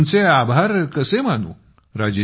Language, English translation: Marathi, And how can I thank you